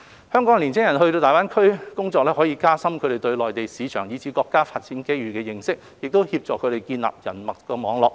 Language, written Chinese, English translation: Cantonese, 香港青年人到大灣區工作，可以加深他們對內地市場，以至對國家發展機遇的認識，協助他們建立人脈網絡。, With the experience of working in GBA Hong Kongs young people can gain a better understanding of the Mainland market and the development opportunities presented by the State and on the other hand this will help them build up their own networks of contacts